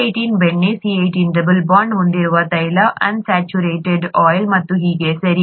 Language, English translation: Kannada, C18 is butter, C18 with a double bond is oil, unsaturated oil and so on, okay